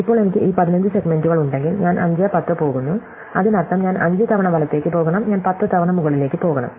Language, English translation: Malayalam, Now, if I have these 15 segments and I am going to (, that means, I have to go right, 5 times, right, and I have to go up 10 times